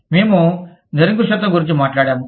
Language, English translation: Telugu, We talked about absolutism